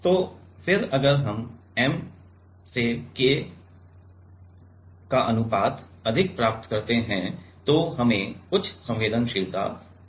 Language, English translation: Hindi, So, then if we get M by K ratio higher than we get higher sensitivity ok